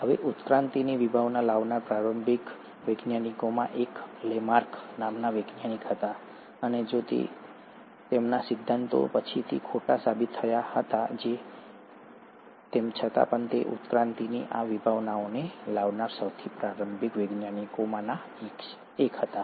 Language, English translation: Gujarati, Now one of the earliest scientist who brought in the concept of evolution was Lamarck, and though his theories were disproved later, he still was one of the earliest scientist to bring in that very concept of evolution